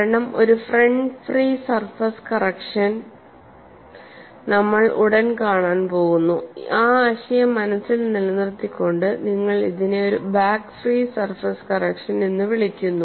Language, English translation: Malayalam, Because we are going to see shortly a front free surface correction, keeping that aspect in mind, you call this as a back free surface correction